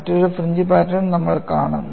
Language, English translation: Malayalam, We would see another fringe pattern